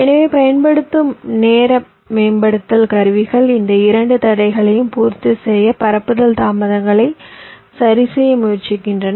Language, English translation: Tamil, so the timing optimization tools that we use, they try to adjust the propagation delays to satisfy these two constraints